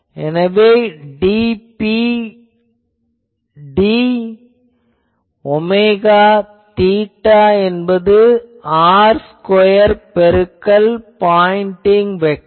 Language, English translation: Tamil, So, dP d omega theta is equal to 0 will be r square into pointing vector pointing vector